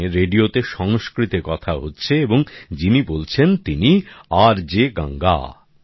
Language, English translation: Bengali, This was Sanskrit being spoken on the radio and the one speaking was RJ Ganga